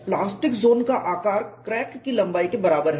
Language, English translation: Hindi, The plastic zone size is comparable to length of the crack